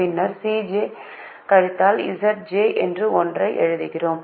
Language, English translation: Tamil, so we write c j minus z j